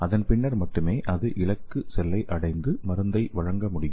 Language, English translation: Tamil, Then only it can reach the target cell and it can deliver the drug